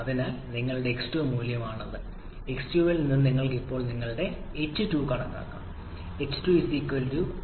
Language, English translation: Malayalam, So this is your x2 value so from x2 you can now calculate your h2 which will be=hf+x1 hfg both hf and hfg will be corresponding to your P2